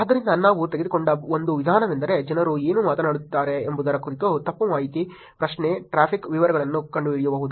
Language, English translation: Kannada, So, one approach that we took was finding out what people are talking about which is misinformation, query, traffic details that is about the content